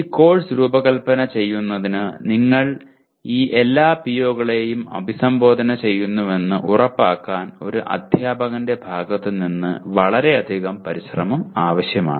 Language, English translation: Malayalam, Designing this course will require lot of effort on the part of a teacher to make sure that you are addressing all these POs